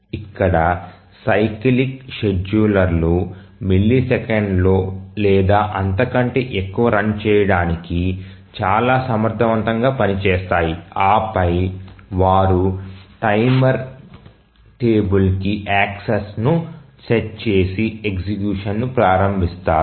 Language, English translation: Telugu, So, here the cyclic schedulers are very efficient run in just a millisecond or so and then they just set the timer, access the table and then they start the education